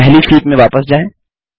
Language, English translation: Hindi, Lets go back to the first sheet